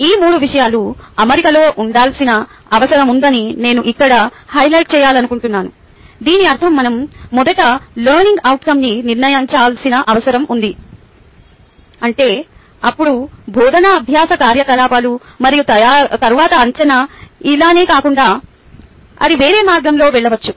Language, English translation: Telugu, i also want to highlight here that when we say these three things needs to be in alignment, it does not mean that if we need to first decide on learning outcome, then the teaching learning activity and then the assessment, it could go the other way around, so the order doesnt matter